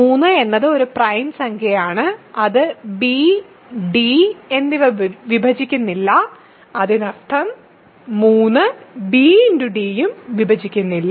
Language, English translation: Malayalam, So, if 3 because 3 is a prime number, it does not divide b and d; that means, 3 does not divide b d also